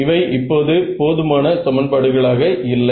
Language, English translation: Tamil, So, now, do I have enough equations